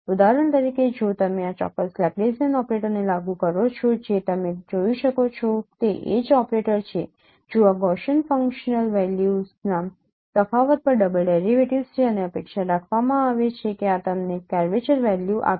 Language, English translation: Gujarati, For example if you if you apply this particular no Laplacian operator that is H operator what you can see these are the double derivatives over the difference of Gaussian functional values and it is expected that this would give you the curvature value so the eigen values of this particular matrix